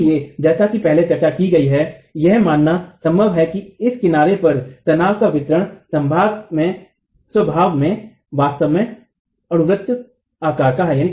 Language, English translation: Hindi, So we as discussed earlier it is possible to assume that the distribution of stresses here at this edge is really parabolic in nature